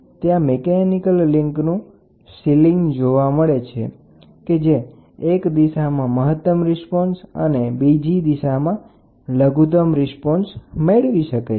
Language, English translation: Gujarati, So, there is a mechanical link to attach it with the sealing and it the piezo crystal is capable of producing the maximum piezo response in one direction and minimum response in the other direction